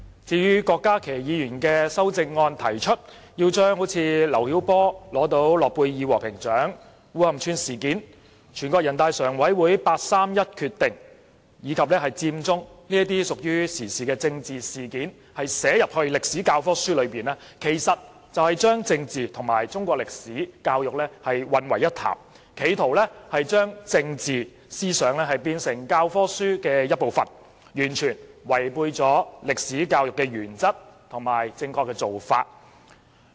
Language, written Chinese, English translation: Cantonese, 至於郭家麒議員的修正案，他提出要將劉曉波獲諾貝爾和平獎、烏坎村事件、全國人大常委會八三一決定、佔中等屬於時事的政治事件寫入中史教科書中，其實是將政治和中史教育混為一談，企圖將政治思想變成教科書一部分，完全違背了歷史教育的原則和正確做法。, As regards the amendment of Dr KWOK Ka - ki he proposes the inclusion of political incidents in the Chinese History textbooks . Such incidents are actually current affairs which include the award of the Nobel Peace Prize to Mr LIU Xiaobo the Wukan Village incident the 31 August Decision of the Standing Committee of the National Peoples Congress and Occupy Central . He is actually bundling up politics with Chinese history education trying to include political ideologies in textbooks which totally goes against the principle and proper practice of Chinese history education